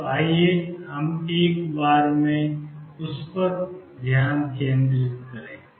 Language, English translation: Hindi, So, let us focus them on at a time